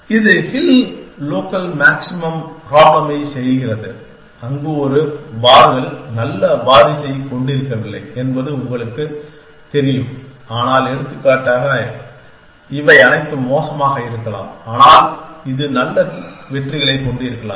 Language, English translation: Tamil, It makes around the hill local maximum problem where you know one bars may not have a good successor, but for example, all these may be bad, but this may have too good successes